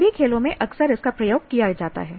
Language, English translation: Hindi, Same thing is used in all sports